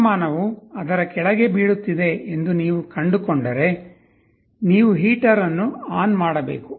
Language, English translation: Kannada, If you find that the temperature is falling below it, you should turn on the heater